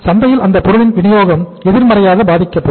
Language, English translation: Tamil, Supply of that product will be affected negatively in the market